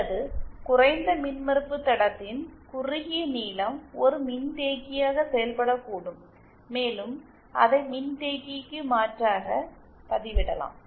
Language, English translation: Tamil, Or a short length of low impedance line can act as a capacitor and it can be substitute it for the capacitance